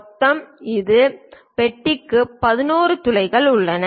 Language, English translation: Tamil, In total 11 holes are there for this box